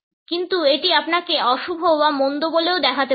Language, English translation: Bengali, But it could also make you appear to be sinister or evil